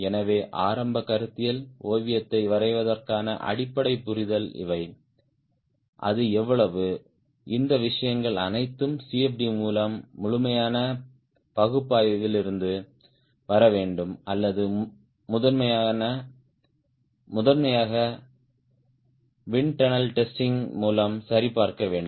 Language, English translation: Tamil, ah, to draw a initial conceptual sketch how much it is, all these things should come from thorough analysis through cmd or primarily validated through internal testing